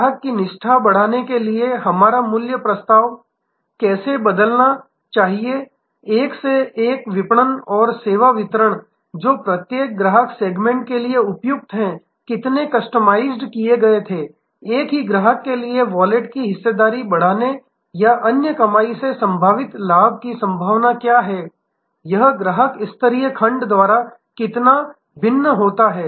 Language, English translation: Hindi, That how should our value proposition change to increase customer loyalty, how much customization were one to one marketing and service delivery is appropriate for each customer segment, what is incremental profit potential by increasing the share of wallet or the other earning possible for the same customer, how much does this vary by customer tier or segment